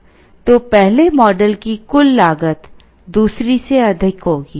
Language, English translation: Hindi, So, the first model will have total cost higher than the second